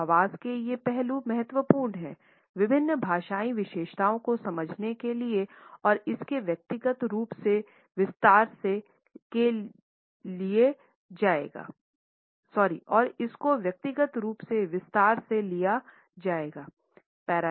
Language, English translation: Hindi, So, these aspects of voice are important in order to understand different paralinguistic features and would be taken up in detail individually